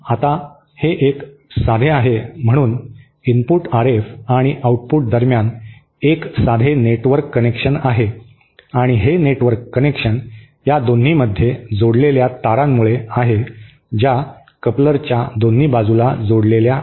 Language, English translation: Marathi, Now because this is a simple, there is a simple network connection between the input RF and the output and the simple network connection is enforced by these wires which are connected between them, between the arms of the coupler